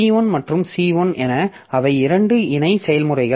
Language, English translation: Tamil, So, as if so P1 and C1 they are two parallel processes now